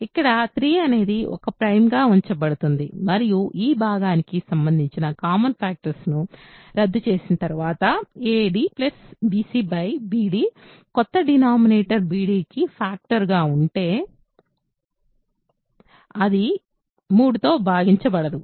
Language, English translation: Telugu, Here 3 is a prime is used and after cancelling common factors of this quotient, a d plus bc by bd whatever is the new denominator being a factor of b d will, will continue to be not divisible by 3 ok